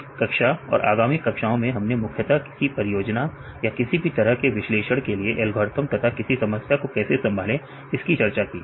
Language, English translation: Hindi, In this class and the subsequent classes we discuss mainly about the algorithms as well as how we approach a problem, may it for a project or any type of analysis